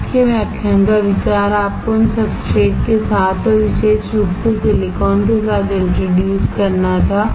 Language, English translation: Hindi, The idea of today's lecture was to introduce you with these substrates and in particular with silicon